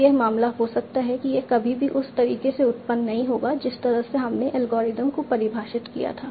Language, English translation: Hindi, This will never arise in the way we have defined algorithm